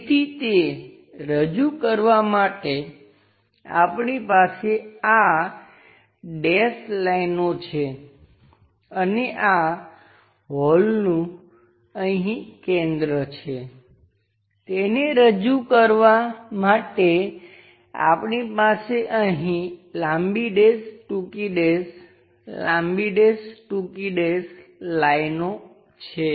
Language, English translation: Gujarati, So, to represent that we have these dashed lines and this hole has a center here and there to represent that we have long dash, short dash, long dash, short dash lines similarly here